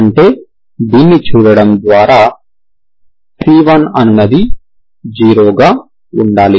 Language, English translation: Telugu, That means by looking at this c has to be 0, c1 has to be 0